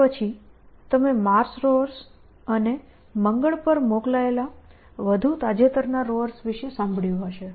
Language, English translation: Gujarati, Then, you must have heard about mars lowers and the more recent lowers that have been sent to mars